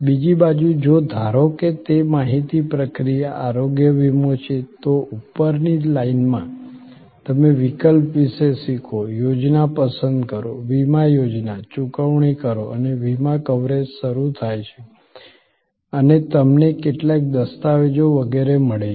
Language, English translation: Gujarati, On the other hand, if suppose it is an information processing, health insurance, so the above the line will be you learn about option, select plan, insurance plan, pay and the insurance coverage starts and you get some documents, etc